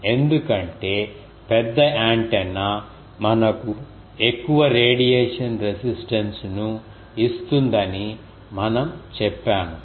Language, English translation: Telugu, Because, we said that a larger antenna will give us larger radiation resistance